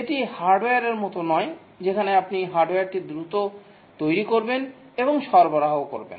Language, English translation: Bengali, This is unlike hardware where you get the hardware quickly developed and given